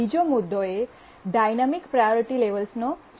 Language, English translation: Gujarati, And the second issue is the dynamic priority levels